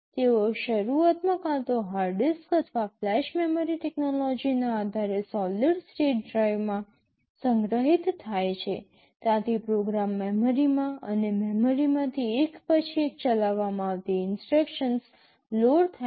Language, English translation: Gujarati, They are initially stored either in the hard disk or in solid state drive based on flash memory technology, from there the program gets loaded into memory and from memory the instructions for executed one by one